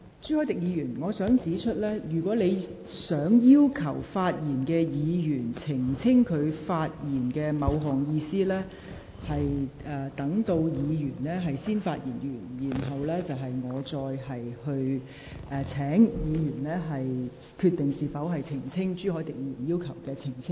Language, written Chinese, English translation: Cantonese, 朱凱廸議員，我想指出，如果你要求正在發言的議員澄清其發言某部分內容的意思，你須待該議員發言完畢後，再由我請有關議員決定是否因應你的要求作出澄清。, Mr CHU Hoi - dick I want to point out that if you want to ask a Member who is speaking to clarify the meaning of a certain part of his or her speech you shall first wait after that Member has finished his or her speech and then I will ask that Member to decide whether he or she will make a clarification in response to your request